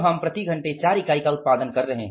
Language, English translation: Hindi, Per hour is 4 units